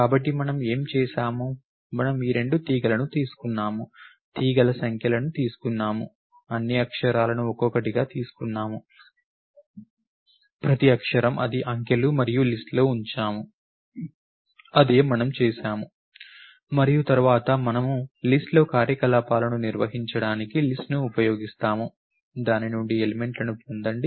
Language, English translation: Telugu, So, what did we do we took these two strings, took the numbers of the strings, took all the characters one by one, each one of the characters is it is digits and put it in the list, that is what we did and then we use list to perform operations on the list, get elements out of it